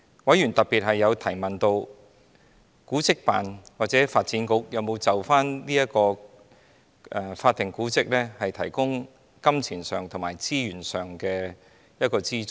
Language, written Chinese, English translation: Cantonese, 委員特別提問，古物古蹟辦事處或發展局有否向有關法定古蹟提供金錢和資源上的資助。, Members particularly asked if the Antiquities and Monuments Office or the Development Bureau would provide assistance in terms of money and resources to the relevant historic buildings